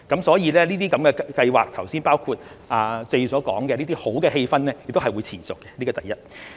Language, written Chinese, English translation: Cantonese, 所以，這項計劃，包括剛才謝議員所說的好氣氛亦會持續，這是第一。, The Scheme including the good sentiment Mr TSE has mentioned will continue . This is the first point